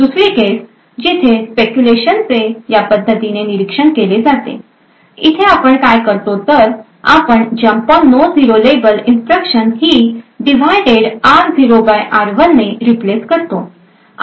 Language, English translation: Marathi, Another case where speculation is also observed is in something like this way, here what we have done is that we have replaced this jump on no 0 label instruction with a divided r0 by r1